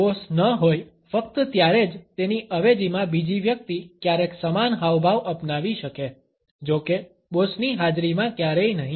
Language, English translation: Gujarati, If the boss is only if the second person in command may sometimes adopt the same gesture; however never in the presence of the boss